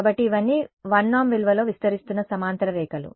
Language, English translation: Telugu, So, these are all parallel lines that are expanding in the value of the 1 norm